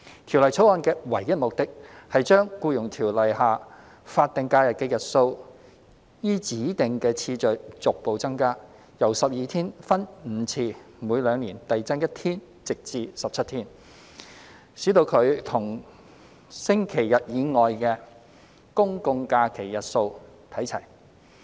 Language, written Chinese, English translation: Cantonese, 《條例草案》的唯一目的，是將《僱傭條例》下法定假日的日數依指定次序逐步增加，由12天分5次每兩年遞增1天至17天，使其與星期日以外的公眾假期日數看齊。, The sole object of the Bill is to increase progressively the number of statutory holidays SHs under the Employment Ordinance EO in a designated sequence from 12 days by five increments at two - year interval each until it reaches 17 days on a par with the number of general holidays GHs other than Sundays